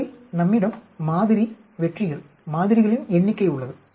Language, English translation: Tamil, In that we have sample, successes, number of samples